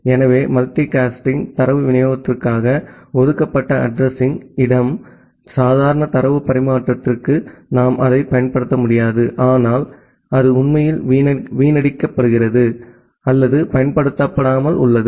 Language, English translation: Tamil, So, the address space that are reserved for the multi cast data delivery we cannot use it for the normal data transfer, but that is actually being wasted or remaining underutilized